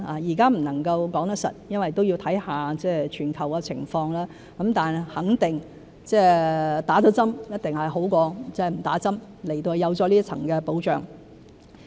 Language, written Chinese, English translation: Cantonese, 現在不能說實，因為也要看看全球的情況，但肯定接種了一定比沒接種好，因為有多一層保障。, We cannot tell for sure right now because we have to look at the global situation . But it is certainly better to receive vaccination than not having done so because there will be extra protection